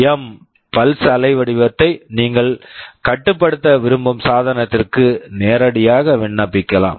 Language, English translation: Tamil, This PWM pulse waveform you can directly apply to the device you want to control